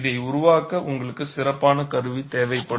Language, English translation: Tamil, You need special tooling to make this